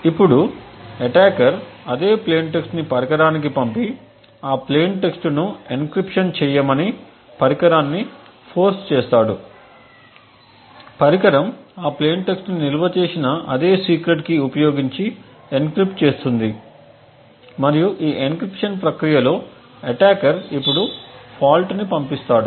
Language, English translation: Telugu, Now the attacker would use the same plain text and pass it to the device and force the device to do an encryption on that plain text, the device would encrypt that plain text using the same stored secret key and the plain text and during this encryption process the attacker now injects a fault